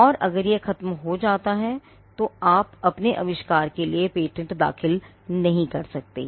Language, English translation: Hindi, And if it gets killed then you cannot file a patent for your invention